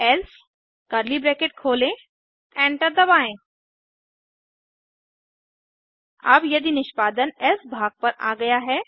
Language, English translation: Hindi, Press enter Now if the execution has come to the else part